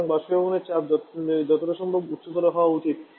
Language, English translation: Bengali, So, the evaporator pressure should be as highest possible